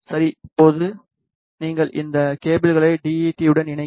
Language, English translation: Tamil, Now, you connect these cables with the DUT